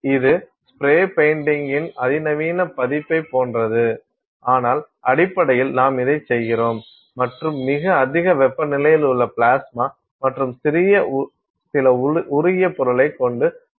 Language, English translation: Tamil, It is sort of like a sophisticated version of spray painting ah, but basically you are doing this and in a plasma with very high temperatures and some molten material that is coming and you make the sample